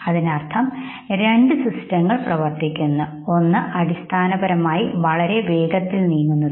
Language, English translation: Malayalam, That means that two systems are working, one which basically moves very fast, okay